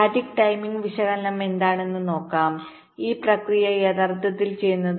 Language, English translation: Malayalam, let see, ah, what static timing analysis this process actually do